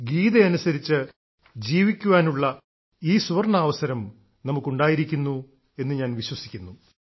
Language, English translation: Malayalam, I do believe we possess this golden opportunity to embody, live the Gita